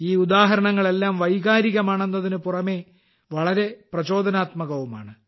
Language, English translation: Malayalam, All these examples, apart from evoking emotions, are also very inspiring